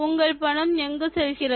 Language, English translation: Tamil, But do you know where your money goes